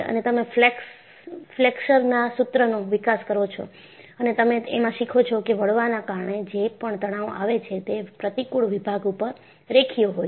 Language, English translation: Gujarati, And, you develop the Flexure formula and you learn whatever the stresses due to bending are linear over the cross section